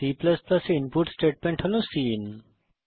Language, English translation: Bengali, And the input statement in C++ is cin